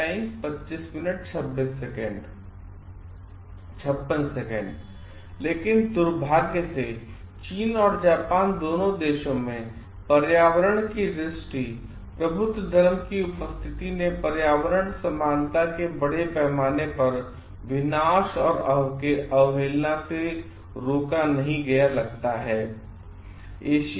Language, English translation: Hindi, But unfortunately both in China and Japan the presence of environmentally enlightened religion does not seem to be prevented the massive destruction and disregard from environmental equality